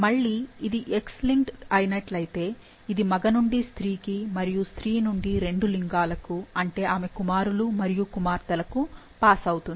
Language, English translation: Telugu, Again, if it X linked, then it passes from male to female and from female to both the genders, like to her sons and daughters